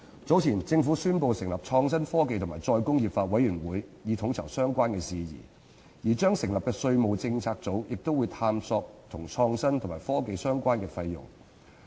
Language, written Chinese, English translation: Cantonese, 早前，政府宣布成立創新、科技及再工業化委員會，以統籌相關事宜，而將成立的稅務政策組亦會探討與創新及科技相關的費用。, Earlier the Government announced the establishment of the Committee on Innovation Technology and Re - industrialization to coordinate various issues and the tax policy unit to be established will also explore the expenditure on innovation and technology